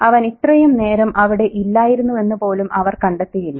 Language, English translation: Malayalam, And they don't even find out that he isn't there for so long